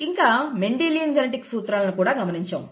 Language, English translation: Telugu, And then some principles of Mendelian genetics